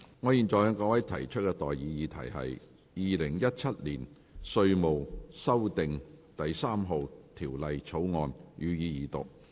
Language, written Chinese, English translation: Cantonese, 我現在向各位提出的待議議題是：《2017年稅務條例草案》，予以二讀。, I now propose the question to you and that is That the Inland Revenue Amendment No . 3 Bill 2017 be read the Second time